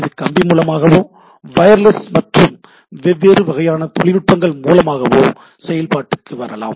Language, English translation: Tamil, So, it can be somewhere wired, wireless and different type of technologies coming into play